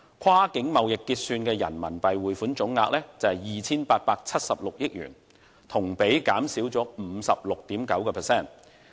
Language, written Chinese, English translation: Cantonese, 跨境貿易結算的人民幣匯款總額為 2,876 億元，同比減少 56.9%。, The total remittance of RMB for cross - border trade settlement amounted to RMB 287.6 billion a year - on - year decline of 56.9 %